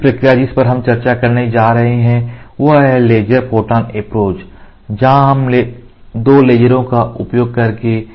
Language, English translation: Hindi, The next process which we are going to discuss is laser photon approach, here in which we use 2 lasers